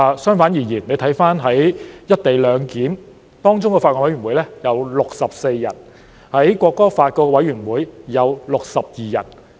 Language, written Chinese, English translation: Cantonese, 相反，回看"一地兩檢"的法案委員會有64人，《國歌條例》的法案委員會有62人。, On the contrary let us look at BC on the co - location arrangement which has 64 members and BC on the National Anthem Ordinance which has 62 members